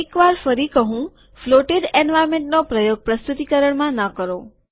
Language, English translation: Gujarati, Once again do not use floated environments in presentations